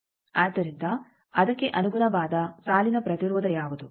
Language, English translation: Kannada, So, what will be the corresponding line impedance